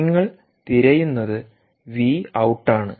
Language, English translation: Malayalam, v out is what you are looking for